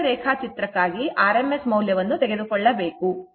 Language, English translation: Kannada, This is phasor diagram is drawn, that is why rms value is taken, right